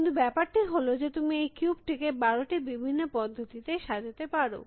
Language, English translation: Bengali, But, the thing is you can reassemble the cube back in twelve different ways